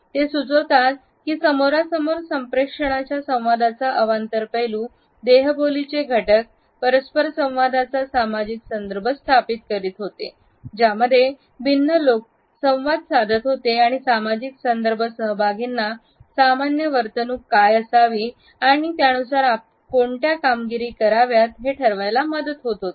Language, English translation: Marathi, They suggest that in face to face communication, nonverbal aspects of communication establish is social context of interaction within which different people interact and the social context helps the participants to infer what should be the normative behaviour and perform accordingly